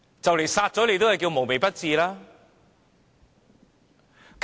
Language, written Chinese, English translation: Cantonese, 這樣殺人也算"無微不至"。, Is killing people also a kind of meticulous care?